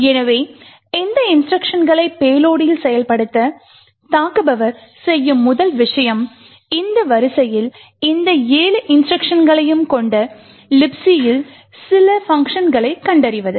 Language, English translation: Tamil, So, now the first thing the attacker would do in order to execute these instructions in the payload is to find some function in or the libc which has all of these 7 instructions in this order